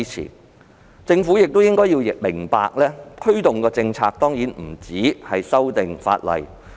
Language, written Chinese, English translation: Cantonese, 可是，政府亦要明白，推動政策的工作當然不止於修訂法例。, Nonetheless the Government should also understand that the promotion of policies certainly goes beyond legislative amendments